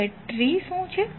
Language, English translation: Gujarati, Now what is tree